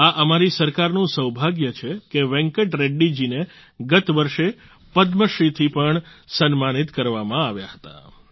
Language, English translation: Gujarati, Our Government is fortunate that Venkat Reddy was also honoured with the Padmashree last year